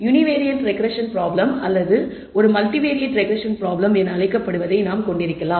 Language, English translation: Tamil, We can have what is called a Univariate 2 regression problem or a multivariate regression problem